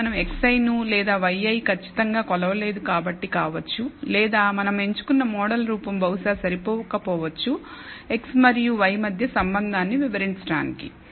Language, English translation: Telugu, This could be because we have not measured x i precisely or y i precisely or it could be that the model form we have chosen is perhaps inadequate to explain the relationship, between x and y